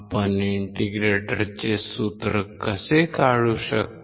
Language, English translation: Marathi, How can we derive the formula of an integrator